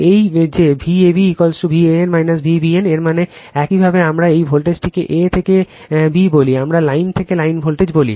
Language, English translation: Bengali, This that V a b is equal to V a n minus V b n that means, your what we call this voltage a to b, we call line to line voltage